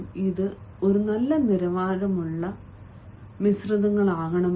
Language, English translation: Malayalam, let it be good quality blends